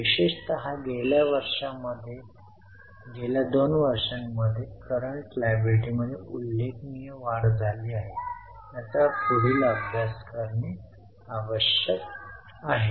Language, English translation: Marathi, Particularly in the last two years, there is a remarkable increase in current liabilities, maybe that needs to be further studied